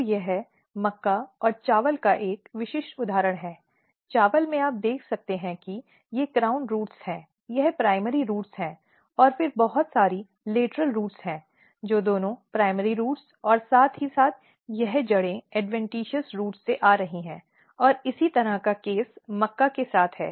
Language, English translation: Hindi, So, this is a typical example of maize and rice; in rice you can see here these are the crown roots, this is the primary roots and then lot of lateral roots which are coming from both primary roots as well as the adventitious root this is the case of maize